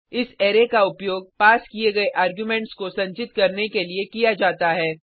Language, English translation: Hindi, This array is used to store the passed arguments